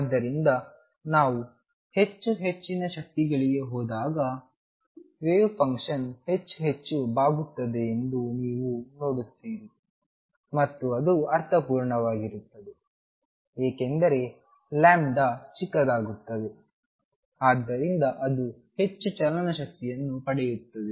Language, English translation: Kannada, So, you see as we go to higher and higher energies, wave function bends more and more and that make sense, because lambda becomes smaller and smaller, So it gains more kinetic energy